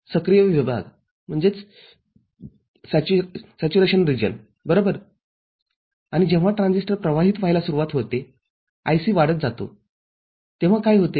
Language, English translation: Marathi, Active region right and when the transistor starts conducting IC is getting increased, what will happen